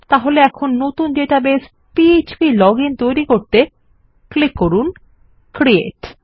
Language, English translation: Bengali, So here, create new database called php login and click create